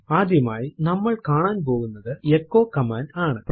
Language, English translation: Malayalam, The first command that we will see is the echo command